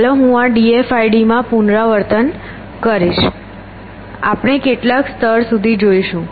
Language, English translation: Gujarati, So, let me repeat in d f i d, we search up to some level let us say this level